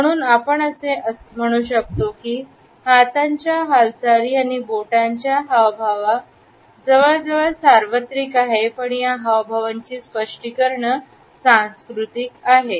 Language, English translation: Marathi, So, one can say that even though the hand movements and finger gestures are almost universal the interpretations of these common gestures are cultural